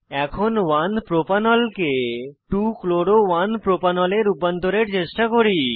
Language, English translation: Bengali, Lets now try to convert 1 Propanol to 2 chloro 1 propanol